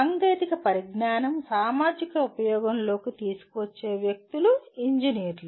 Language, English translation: Telugu, And the persons who bring technology into societal use are engineers